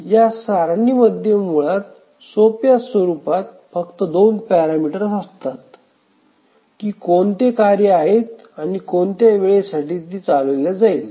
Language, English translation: Marathi, This table basically contains only two parameters in the simplest form that what are the tasks and what are the time for which it will run